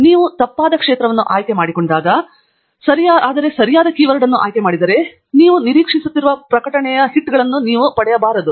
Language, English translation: Kannada, Some times when you pick the wrong field but the right keyword, then you may not get the number of publication hits that you are expecting